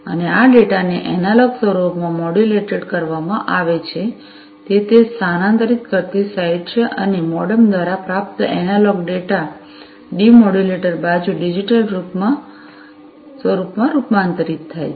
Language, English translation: Gujarati, And, this data is modulated into analog form at it is transmitting site and the received analog data, by the MODEM is transformed into the digital form at the demodulator side